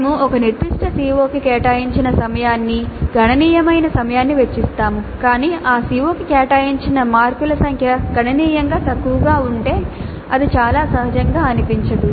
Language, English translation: Telugu, We spend considerable amount of time devoted to a particular CO but in allocating the Mars the number of Mars allocated to that CO is significantly low, it does not look very natural